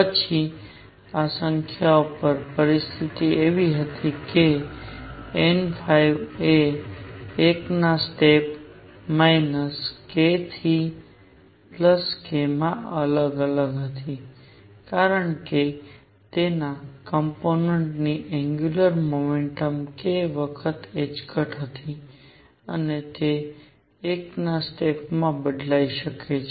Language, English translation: Gujarati, Then the conditions on these numbers were that n phi varied from minus k to k in steps of 1, because the angular momentum of its component was k times h cross and it could vary in steps of 1